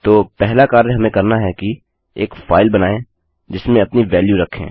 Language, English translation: Hindi, So the first thing we need to do is create a file in which to store our value in